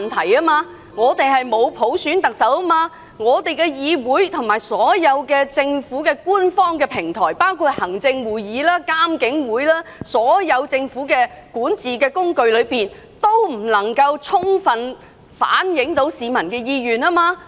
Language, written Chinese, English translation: Cantonese, 香港沒有特首普選，香港的議會和所有政府官方平台，包括行政會議及獨立監察警方處理投訴委員會，全都無法充分反映市民的意願。, Here in Hong Kong the Chief Executive is not elected by universal suffrage . Public sentiments cannot be fully reflected through the legislature or any other government platforms such as the Executive Council and the Independent Police Complaints Council